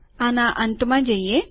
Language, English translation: Gujarati, Lets go to the end